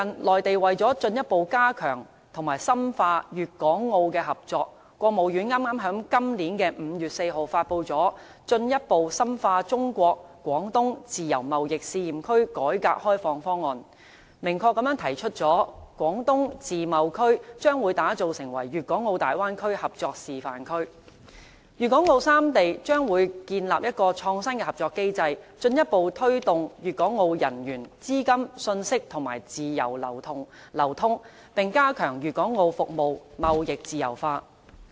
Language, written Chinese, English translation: Cantonese, 內地為了進一步加強和深化粵港澳的合作，國務院剛在今年5月4日發布了《進一步深化中國自由貿易試驗區改革開放方案》，明確提出將會把廣東自貿區打造成粵港澳大灣區合作示範區，粵港澳三地將會建立一個創新的合作機制，進一步推動粵港澳人員、資金、信息等自由流通，並加強粵港澳服務貿易自由化。, In order to strengthen and deepen cooperation among Guangdong Hong Kong and Macao the State Council issued the Plan on Further Deepening the Reform and Opening - up in the China Guangdong Pilot Free Trade Zone in 4 May . The Plan explicitly says that the State will develop the Guangdong Free Trade Zone into a demonstrative zone of the Bay Area under an innovative cooperative mechanism with a view to further promoting the free flows of personnel capital and information among Guangdong Hong Kong and Macao and step up the liberalization of service trades of the three places